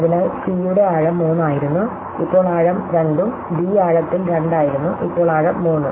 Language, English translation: Malayalam, So, c in our earlier thing was a depth 3, and now it is a depth 2 and the d was depth 2 and now it is a depth 3